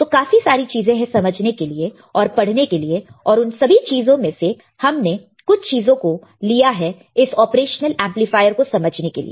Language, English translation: Hindi, So, there are a lot of things to understand, lot of things to learn and we have taken few things from that lot to understand this particular amplifier called operational amplifier right